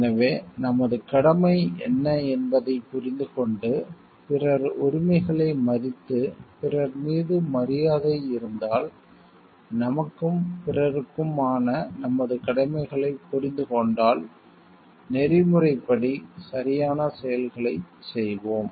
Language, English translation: Tamil, So, if we understand like what is our duty if we respect the rights of others and if we have respect for others, we and we understand our set of duties towards ourself and towards others, then we will be doing actions which are ethically correct